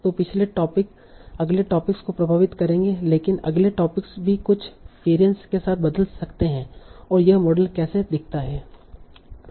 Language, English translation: Hindi, So that is the previous topics influence the next topics but the next topics can also change with certain variants